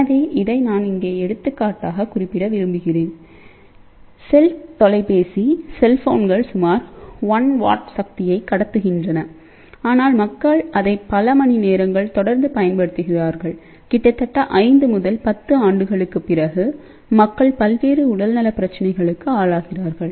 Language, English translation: Tamil, So, this is what I also want to mention here that; for example, cell phone cell phones transmit about 1 watt of power, but people use it for hours and hours and after almost close to a 5 to 10 years, people start developing various health problem